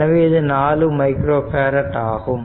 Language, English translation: Tamil, So, it will be 4 micro farad